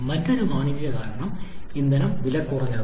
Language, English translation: Malayalam, Another commercial reason is the fuel is cheaper